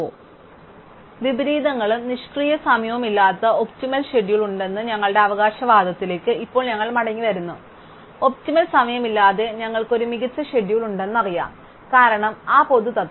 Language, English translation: Malayalam, So, therefore now we come back to our claim that there is an optimum schedule with no inversions and no idle time, we know that we have an optimum schedule with no idle time, because that general principle